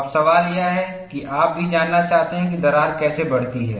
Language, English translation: Hindi, Now, the question is, you also want to know how the crack would grow